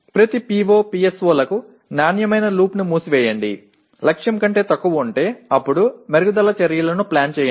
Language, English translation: Telugu, Close the quality loop for each PO, PSO by if the attainment is less than target, then plan improvement actions